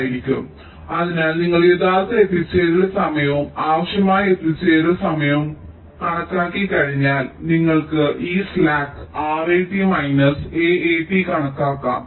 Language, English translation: Malayalam, so you have see, once you have calculated the actual arrival time and the required arrival time, you can also calculate this slack: r, eighty minus s e t